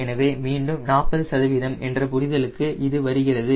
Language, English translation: Tamil, so that again comes back to the understanding, the forty percent